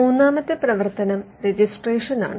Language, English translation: Malayalam, The third function is a registration